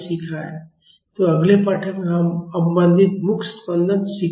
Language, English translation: Hindi, So, in the next lesson, we will learn damped free vibrations